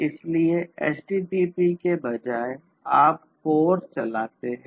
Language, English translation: Hindi, So, you know instead of HTTP you run CORE